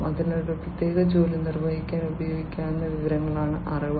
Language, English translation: Malayalam, So, knowledge is that information that can be used to perform a particular task